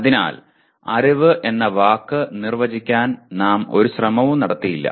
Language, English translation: Malayalam, So we did not make any attempt at all to try to define the word knowledge